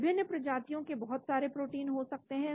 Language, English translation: Hindi, There could be many proteins from different species